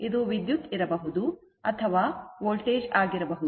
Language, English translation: Kannada, It may be current, it may be voltage, right